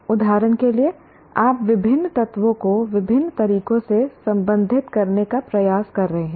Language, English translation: Hindi, For example, you are trying to relate the various elements in different ways